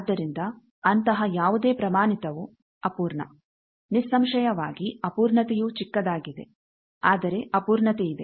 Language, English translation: Kannada, So, any standard like that is imperfect; obviously, it is very that imperfection is small, but there is some imperfection